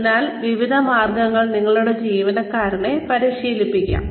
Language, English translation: Malayalam, So various ways in which, we can train our employees